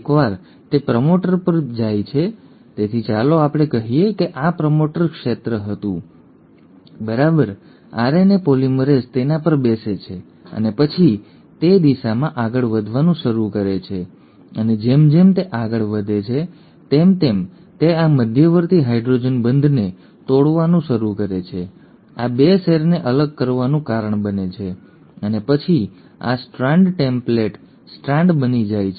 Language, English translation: Gujarati, Once it sits on the promoter, so let us say this was the promoter region, right, the RNA polymerase sits on it and then it starts moving in that direction, and as it moves along it starts breaking these intermediary hydrogen bonds, causes the separation of these 2 strands and then this strand becomes the template strand